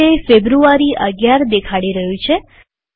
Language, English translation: Gujarati, Here it is showing February 11